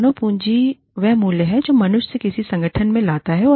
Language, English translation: Hindi, Human capital is the value, that human beings bring to an organization